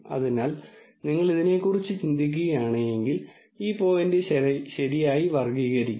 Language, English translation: Malayalam, So, basically if you think about it, this point would be classified correctly and so on